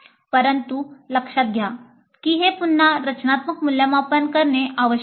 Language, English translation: Marathi, But note that this also must go through again a formative evaluation